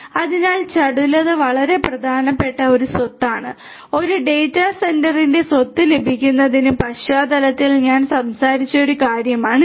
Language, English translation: Malayalam, So, agility is a very important property and this is something that I talked about in the context of get the property of a data centre